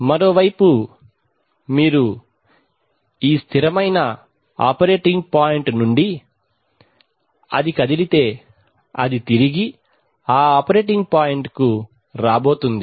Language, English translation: Telugu, On the other hand if you, from the stable operating point if it moves away it is going to come back to that operating point